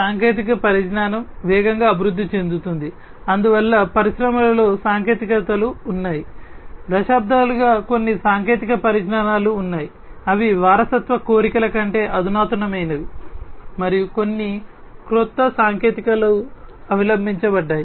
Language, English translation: Telugu, Technology is evolving fast, there are technologies in the industries that have been therefore, decades there are certain technologies that have there are more advanced than those legacy wants and there are some very new technologies that are adopted